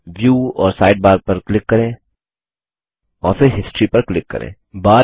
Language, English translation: Hindi, Click on View and Sidebar and then click on History